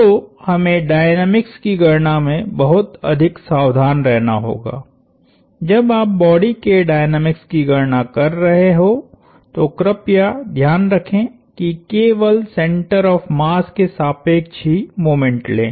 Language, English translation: Hindi, So, we have to be very, very careful that in dynamical calculations, when you are calculating the dynamics of bodies please be aware to only take moment about the center of mass